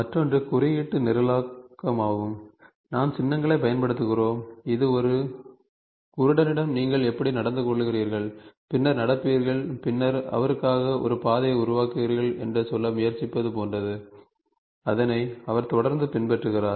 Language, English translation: Tamil, The other one is symbolic programming, we use symbols, it is like trying to tell a blind man how do you walk and then walk and then generate a path for him so that he regularly follows